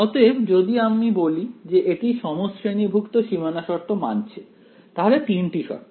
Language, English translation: Bengali, So, it we can say that it satisfies homogeneous boundary conditions ok, so three conditions